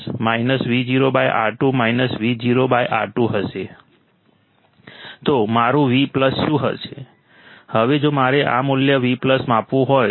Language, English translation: Gujarati, So, what is my Vplus, now if I want to measure this value Vplus